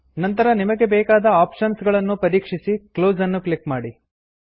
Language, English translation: Kannada, You can then, check the options you require.Click Close